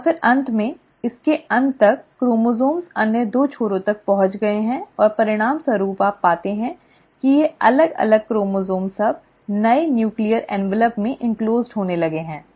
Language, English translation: Hindi, And then finally, by the end of it, the chromosomes have reached the other two ends and as a result, you find that these separated chromosomes now start getting enclosed in the newly formed nuclear envelope